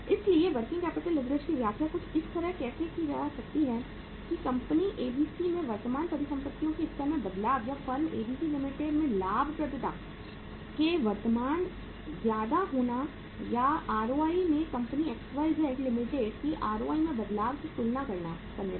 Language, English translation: Hindi, So working capital leverage can be interpreted in terms of that with the change in the level of current assets in the company ABC Limited or in the firm ABC Limited there will be a higher change in the profitability or in the ROI as compared to the change in the ROI in the company XYZ Limited